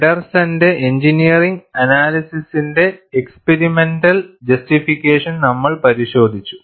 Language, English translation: Malayalam, And we have also looked at the experimental justification of the engineering analysis by Feddersen